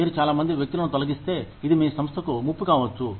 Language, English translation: Telugu, If you lay off, too many people, it could be a threat, to your organization